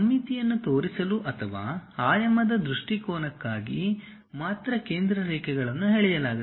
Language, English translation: Kannada, Center lines are drawn only for showing symmetry or for dimensioning point of view